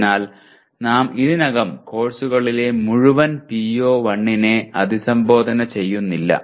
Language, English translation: Malayalam, So already we are not addressing the full PO1 in the courses